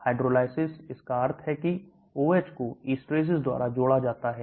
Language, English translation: Hindi, hydrolysis that means OH is added by esterases